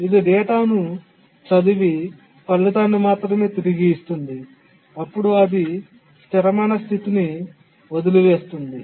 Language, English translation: Telugu, It should have read the data and then written back the result, then it would have left it in a consistent state